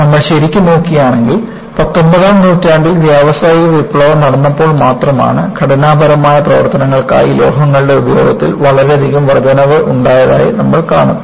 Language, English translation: Malayalam, And, if we really look at, it is only in the nineteenth century, when there was industrial revolution; you see an enormous increase in the use of metals for structural applications